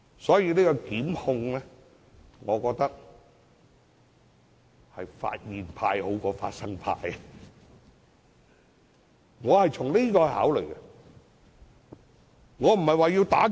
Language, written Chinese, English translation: Cantonese, 所以，我認為就檢控而言，"發現派"較"發生派"為佳，我是從這個角度考慮的。, Therefore considering from this perspective I consider it preferable to have the time limit for prosecution running from the date of discovery rather than commission of the offences